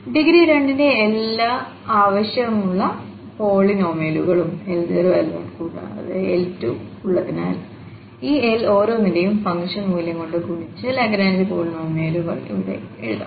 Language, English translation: Malayalam, So, having these all desired polynomials of degree 2, L0 L1 and L2, we can now write down this Lagrange polynomial only thing we have to multiply just by the function value to each of these L